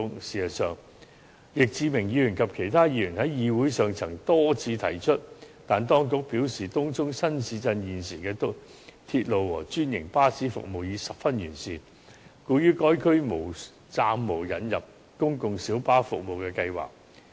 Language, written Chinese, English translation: Cantonese, 事實上，易志明議員及其他議員在議會上曾多次提出這建議，但當局表示，東涌新市鎮現時的鐵路和專營巴士服務已十分完善，故於該區暫無引入公共小巴服務的計劃。, In fact Mr Frankie YICK and other Members have put forth this proposal many times in the Council . However the Administration has indicated that the existing railway and franchised bus services in the Tung Chung New Town are very comprehensive and thus the Government has temporarily no plans to introduce PLB service in the district